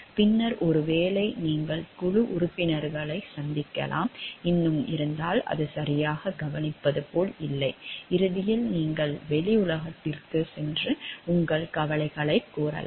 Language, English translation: Tamil, And then maybe you meet a board members, and if still that is not like taking proper care of; at the end then you may go to the outside world and voice your concerns